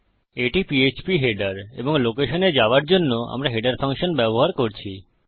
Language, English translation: Bengali, This is php header and we are using header function going to a location